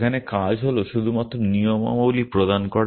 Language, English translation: Bengali, There task is to only provide the rules essentially